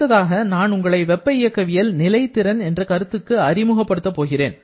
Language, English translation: Tamil, Next, I would like to introduce you the concept of thermodynamic potential